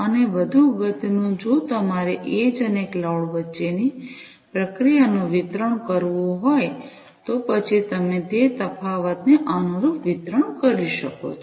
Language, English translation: Gujarati, And more importantly, if you have to distribute the processing between the edge and the cloud, then how do you make that differentiation and correspondingly the distribution